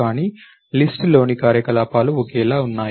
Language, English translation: Telugu, But the operations on the list are the same